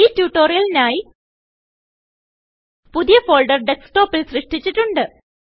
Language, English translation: Malayalam, For the purposes of this tutorial: We have created a new folder on the Desktop